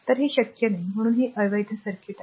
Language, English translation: Marathi, So, it is not possible right so, this is an invalid circuit